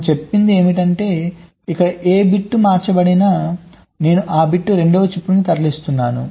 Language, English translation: Telugu, what where saying is that whatever bit to us shifted here, i am moving that bit to the seven chip